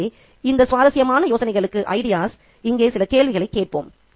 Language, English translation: Tamil, So, let's ask certain questions to this very interesting set of ideas here